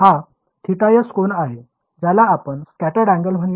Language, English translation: Marathi, This is the angle it makes theta s let us call it scattered angle